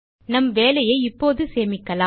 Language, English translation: Tamil, Let us save our work now